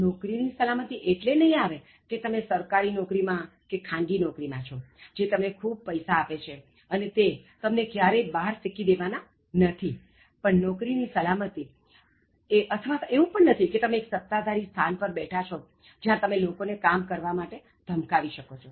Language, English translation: Gujarati, Job security will not come because, you work in a government job or a private job is giving so much money and it will never throw you out, job security is not coming because you are in a very dominant position and you can threaten others or coerce others to do work